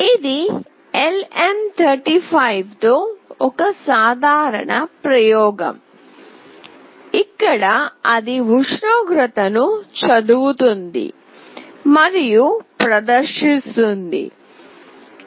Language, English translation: Telugu, This is a simple experiment with LM35, where it is reading the temperature and is displaying it